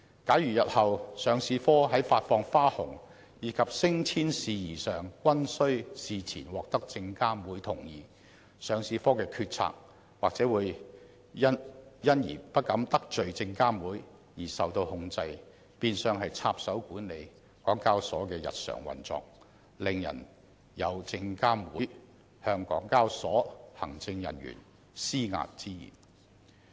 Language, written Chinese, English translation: Cantonese, 假如日後上市部在發放花紅及升遷事宜上均須事前獲得證監會同意，上市部的決策或會因為不敢得罪證監會而受到控制，變相讓證監會插手管理港交所的日常運作，令人感到證監會有向港交所行政人員施壓之嫌。, If the Listing Department is required to seek prior consent from SFC in the future on payment of bonus and staff promotion matters its decision - making functions may be subject to the control of SFC since it would not dare to displease SFC . SFC will then have the chance to interfere with the daily operations of HKEx thus giving the public an impression that SFC is trying to impose pressure on senior executives of HKEx